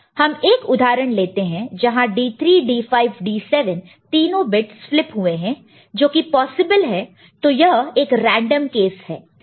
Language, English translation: Hindi, So, we take an example where D 3, D 5, D 7 they have flipped, ok; which is possible this is one random case, right